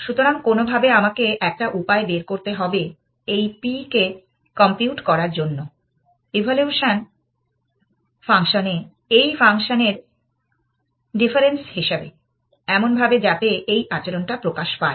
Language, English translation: Bengali, So, somehow I have to devise a way of computing this p as the function of this difference in the evaluation function, in such a way that this behavior is manifested